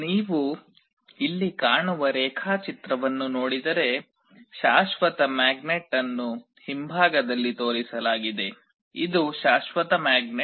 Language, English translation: Kannada, Just looking into the diagram you see here the permanent magnet is shown in the back this is the permanent magnet